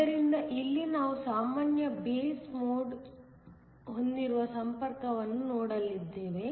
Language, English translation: Kannada, So, here we are going to look at a connection where we have a common base mode